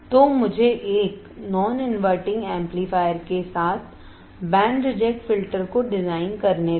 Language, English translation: Hindi, So, let me design band reject filter with a non inverting amplifier